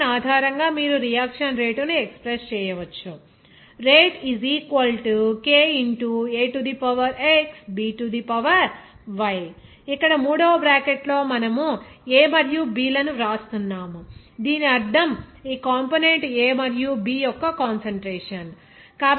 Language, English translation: Telugu, Based on this equation, you can express the rate of the reaction as Here, in third bracket, we are writing this A and B, it does mean that the concentration of this component A and B respectively